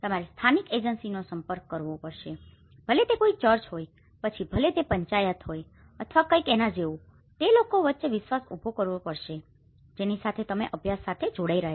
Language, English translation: Gujarati, You have to approach the local agency, whether it is a church, whether it is a panchayat or anything so to build a trust between the people whom you are connecting in the study